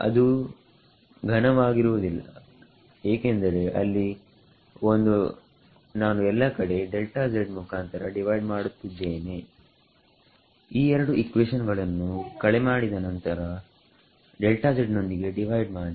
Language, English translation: Kannada, It won’t be cube because there is a, I am dividing everywhere about delta z right subtract these two equations and then divide by delta z